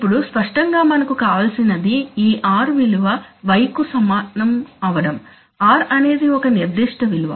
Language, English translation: Telugu, Now obviously we want to, what we want we want that this r be equal to y, so we want to, r is a certain values